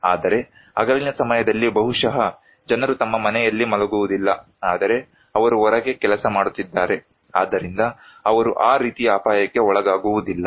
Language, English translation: Kannada, But day time maybe people are not sleeping at their home but they are working outside so, they are not exposed to that kind of risk